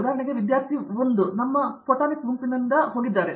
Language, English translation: Kannada, For example, we have from our photonics group 1 of our student have gone into